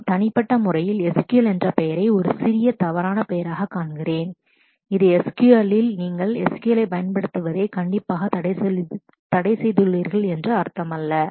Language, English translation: Tamil, I, I personally find the name no SQL a little misnomer, it no SQL does not mean that you are strictly prohibited from not using SQL in these databases